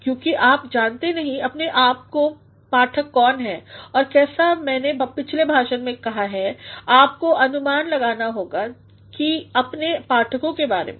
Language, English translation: Hindi, Because you do not know who your readers are and as I have said in the previous lecture you have to anticipate about your readers